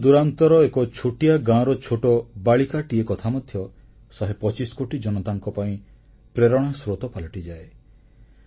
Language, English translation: Odia, An incident regarding a small girl from a remote village too can inspire the hundred and twenty five crore people